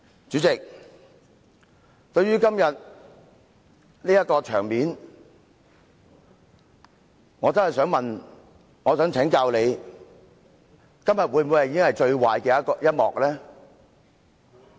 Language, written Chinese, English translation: Cantonese, 主席，對於今天這種場面，我真的想請教你，今天會否已經是最壞的一幕？, President in view of this scenario today I really would like to seek your advice . Regarding what is happening today is it already the worst scenario?